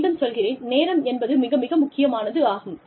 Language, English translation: Tamil, Again, the timing is, very, very important